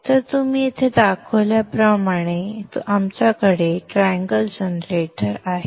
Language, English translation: Marathi, So we have a triangle generator just like what we are shown here